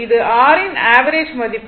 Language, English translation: Tamil, This is your average value